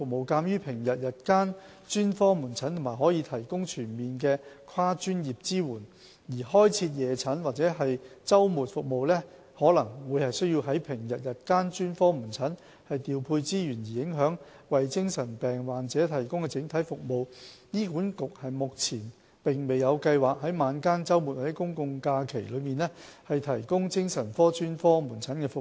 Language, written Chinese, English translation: Cantonese, 鑒於平日日間專科門診可提供全面的跨專業支援，而開設夜診或周末服務可能需要從平日日間專科門診調配資源而影響為精神病患者提供的整體服務，醫管局目前沒有計劃在晚間、周末或公眾假期提供精神科專科門診服務。, Comprehensive multi - disciplinary support is provided during daytime on weekdays by SOP clinics . Given the fact that the provision of evening or weekend services will inevitably require redeployment of resources from the weekday daytime SOP clinics and hence affect the overall services provided for patients with mental illness HA has no plans at present to provide psychiatric SOP services in the evenings on weekends or public holidays